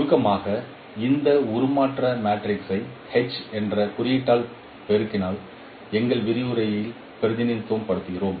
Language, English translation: Tamil, In short, we represent this transformation matrix by the symbol H in this case, mostly in our lecture